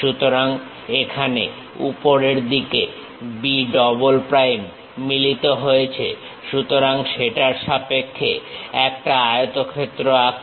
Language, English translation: Bengali, So, B here B double prime matches on the top side; so, with respect to that draw a rectangle